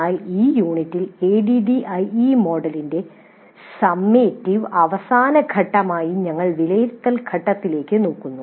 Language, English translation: Malayalam, But in this unit we are looking at the evaluate phase as the summative final phase of the ADD model